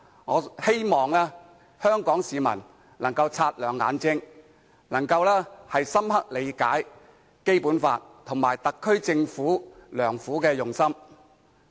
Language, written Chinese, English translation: Cantonese, 我希望香港市民能夠擦亮眼睛，深入理解《基本法》及特區政府的用心良苦。, I hope Hong Kong people can keep a discerning eye and thoroughly understand the Basic Law and the SAR Governments good intentions